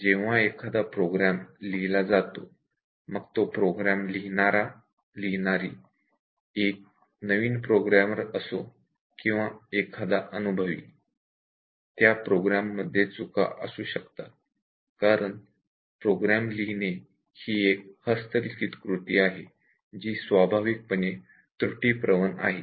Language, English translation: Marathi, Whenever anybody writes program, whether it is a new programmer or a very experienced programmer errors are bound to be there, because these are manual activities, program writing and these are inherently error prone